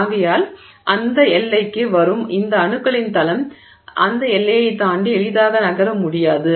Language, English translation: Tamil, Therefore, this plane of atoms that arrives at that boundary is not able to easily move across that boundary